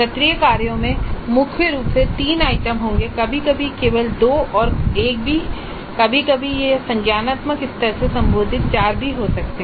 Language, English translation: Hindi, So, assignments dominantly will have up to three items, sometimes only two or even one, sometimes it may be even four belonging to the cognitive level apply